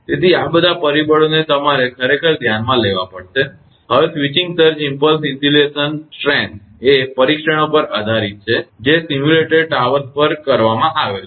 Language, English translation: Gujarati, So, all these factors actually you have to consider, now switching surge impulse insulation strength is based on tests that have been made on simulated towers